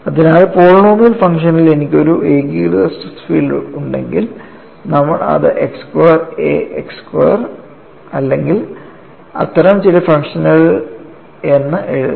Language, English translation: Malayalam, So, if I have a uniaxial stress field in the polynomial function, you will write it as x square a x square or some such type of function